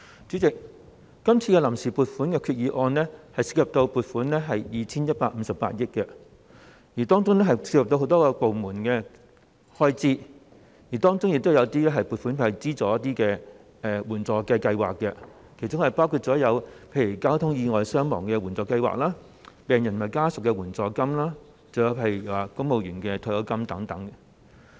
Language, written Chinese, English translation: Cantonese, 主席，今次臨時撥款決議案涉及 2,158 億元，當中牽涉到很多部門的開支，亦有些撥款會用於資助援助計劃，包括例如交通意外傷亡援助計劃、病人及家屬援助金，以及公務員退休金等。, President this Vote on Account VoA Resolution involves 215.8 billion covering the expenditure items of many departments the provisions for financing some assistance schemes such as the Traffic Accident Victims Assistance Scheme and the assistance for patients and their families and also the civil service pension